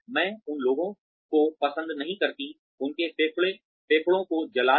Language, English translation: Hindi, I do not like people, burning their lungs